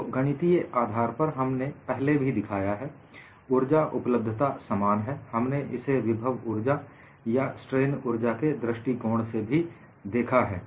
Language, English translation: Hindi, So, mathematically, we have already shown, the energy availability is same we have looked at that from the point of view a potential energy or strain energy